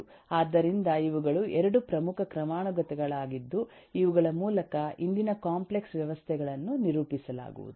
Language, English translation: Kannada, so these are the 2 key hierarchies through which complex systems of today will be, uh, characterized, will be discussed